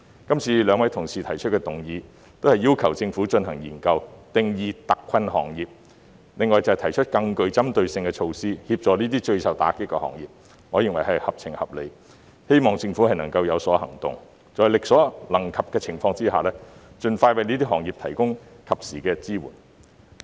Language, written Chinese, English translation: Cantonese, 今次兩位議員動議的議案，都是要求政府進行研究，定義特困行業，另外便是提出更具針對性的措施，協助這些最受打擊的行業，我認為是合情合理的，亦希望政府有所行動，在力所可及的情況下，盡快為這些行業提供及時支援。, The motion and the amendment proposed by the two Members request the Government to conduct a study and define hard - hit industries . They also propose more targeted measures to help these industries which have been hit most seriously . I consider it reasonable and I hope the Government will take expeditious action to provide timely support to these industries as far as possible